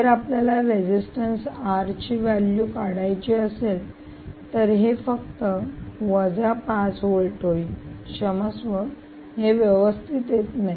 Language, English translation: Marathi, so if you do, ah, if you want to calculate the resistance r, this will simply be five volts minus